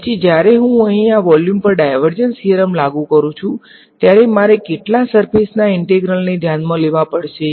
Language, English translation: Gujarati, Then when I apply the divergence theorem to this volume over here, how many surface integrals will I have to take care of